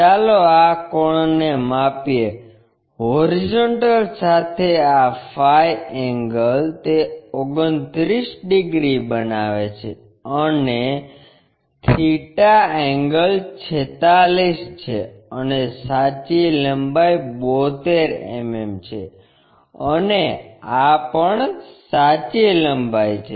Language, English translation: Gujarati, Let us measure this angle, the phi angle with horizontal it makes 29 degrees and the theta angle is 46, and true length is 72 mm, and this is also true length